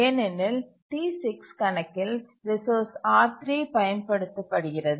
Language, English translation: Tamil, Now let's see on account of resource R2